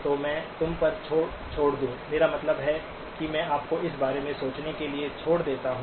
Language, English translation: Hindi, So let me leave you at, I mean, leave you to think about this